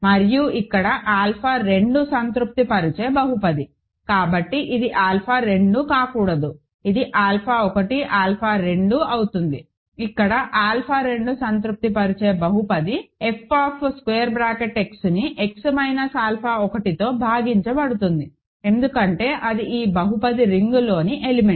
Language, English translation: Telugu, And here, the polynomial that alpha 2 satisfies, so this should not be alpha 2, it will be alpha 1, alpha 2; here the polynomial that alpha 2 satisfies over this will be f X divided by X minus alpha 1, because that is an element in this polynomial ring